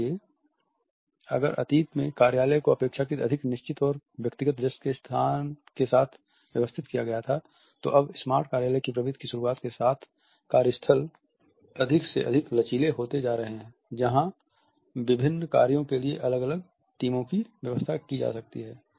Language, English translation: Hindi, So, if in the past the office was arranged with a relatively more fixed and individual desks, now with the beginning of the smart office trend the workstations become more and more flexible where different teams can be arranged for different works